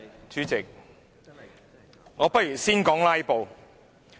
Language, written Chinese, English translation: Cantonese, 主席，我不如先說"拉布"。, President let me talk about the filibustering first